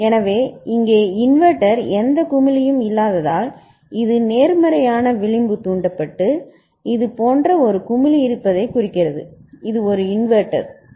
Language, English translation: Tamil, So, absence of any bubble here inverter means it is positive edge triggered and presence of a bubble like this, that is a inverter ok